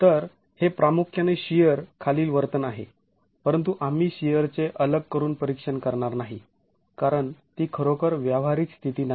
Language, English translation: Marathi, So, and that is behavior primarily under shear, but we're not going to be examining shear in isolation because that's not a, that's really not a practical state